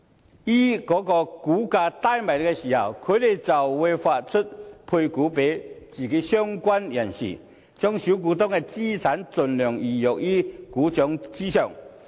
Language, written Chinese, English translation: Cantonese, 再於股價低落時配股予相關人士，把小股東的資產盡量魚肉於股掌上。, They will sell the shares to certain private investors through placement when the share price is at low levels thus putting the assets of small shareholders totally under their control